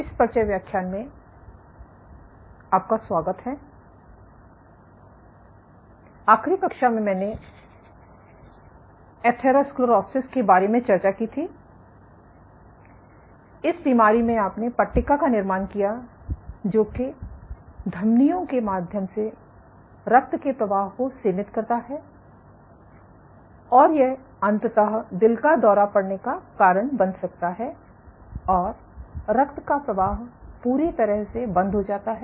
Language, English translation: Hindi, And so, in this disease you have build up of plaques which limit blood flow through the arteries and eventually might manifested itself as a heart attack and flow is completely stopped